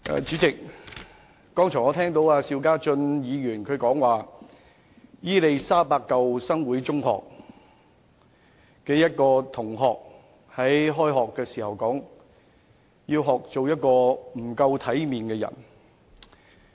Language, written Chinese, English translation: Cantonese, 主席，我剛才聽到邵家臻議員提到，伊利沙伯中學舊生會中學一名學生，在開學時說她要學做一個不夠體面的人。, President just now I heard Mr SHIU Ka - chun say a student of Queen Elizabeth School Old Students Association Secondary School expressed at the beginning of this school year that she wanted to learn to become a person without proper manners